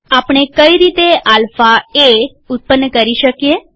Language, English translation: Gujarati, How do we generate alpha a